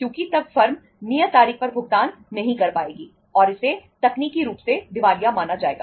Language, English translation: Hindi, Because then the firm would be would not be able to make the payment on the due date and that would be considered as technically insolvent